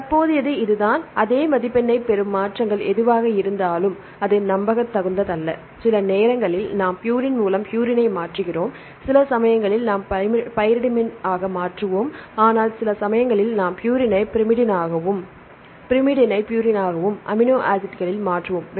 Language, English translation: Tamil, So, that the current this is scenario whatever the changes we get the same score, but that is not reliable right sometimes we change purine by purine sometimes we change pyrimidine by pyrimidine sometimes we change purine to pyrimidine and pyrimidine to purine likewise in the amino acids different types of changes